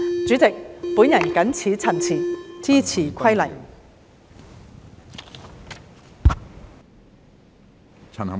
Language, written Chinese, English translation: Cantonese, 主席，我謹此陳辭，支持《2021年消防規例》。, With these remarks President I support the Fire Service Amendment Regulation 2021